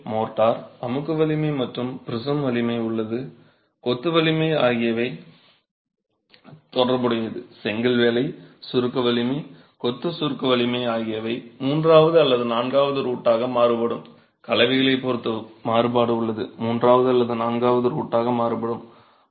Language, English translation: Tamil, And the way the motor compressive strength and the prism strength or the masonry strength are related is in this manner that the brickwork compressive strength, masonry compressive strength varies as the third of the fourth root